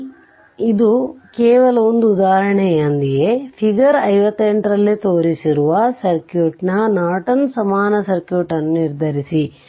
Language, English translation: Kannada, So, with this just one example, determine Norton equivalent circuit of the circuit shown in figure 58